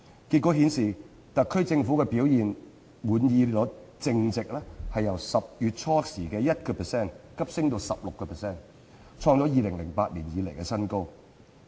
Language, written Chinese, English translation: Cantonese, 結果顯示，特區政府表現滿意率淨值由10月初只有 1% 急升至 16%， 創2008年以來新高。, According to the outcome the net satisfaction rate concerning the performance of the SAR Government surged from a mere 1 % in early October to 16 % a record high since 2008